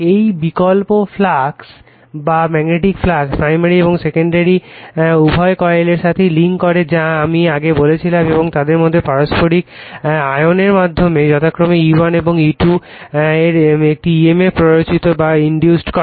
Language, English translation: Bengali, This alternating flux links with both primary and the secondary coils right that I told you and induces in them an emf’s of E1 and E2 respectively / mutual induction